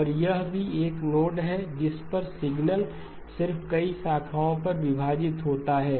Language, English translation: Hindi, And this is also a node on which the signal just splits into multiple branches